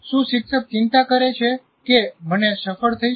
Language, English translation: Gujarati, Does the teacher care whether I succeed